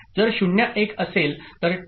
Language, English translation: Marathi, So, if it is 0